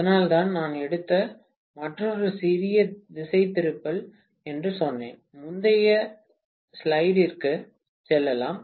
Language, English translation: Tamil, That is why I said that is another little diversion I have taken, let me go back to the previous slide, right